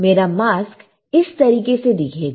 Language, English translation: Hindi, My mask will look like this